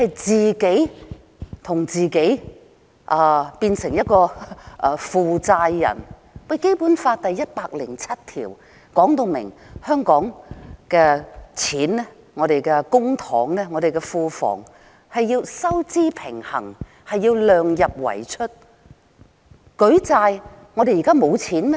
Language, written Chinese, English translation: Cantonese, 政府自己變成一個負債人，《基本法》第一百零七條說明香港的公帑或庫房必須收支平衡，量入為出。, The Government itself will turn into a debtor . Article 107 of the Basic Law provides that Hong Kong should strive to achieve fiscal balance in its public coffers or treasury and keep expenditure within the limits of revenues